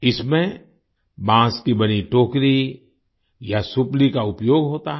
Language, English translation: Hindi, In this, a basket or supli made of bamboo is used